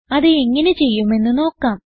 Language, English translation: Malayalam, Let us see how it it done